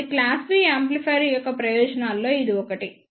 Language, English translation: Telugu, So, this is one of the advantage of class B amplifiers